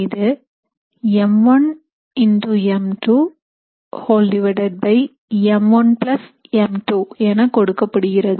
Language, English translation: Tamil, It is given by m 1 into m 2 divided by m1 + m2